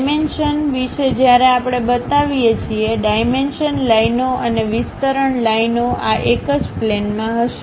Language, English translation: Gujarati, Regarding dimensions when we are showing, dimension lines and extension lines; these shall be on the same plane